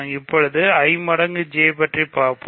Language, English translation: Tamil, So now, let us compute I times J